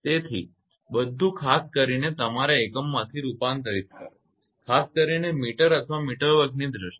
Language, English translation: Gujarati, So, convert everything with the appropriate your unit particularly in terms of meter or meter square right